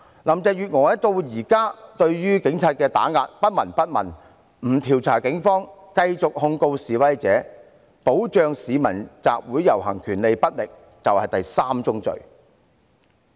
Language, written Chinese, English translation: Cantonese, 林鄭月娥至今對於警方的打壓不聞不問，不調查警方，繼續控告示威者，保障市民集會遊行權力不力，這就是第三宗罪。, Carrie LAM has turned a blind eye to the police suppression refused to investigate the Police continued to prosecute protesters and failed to protect peoples right to assembly and procession . This is the third sin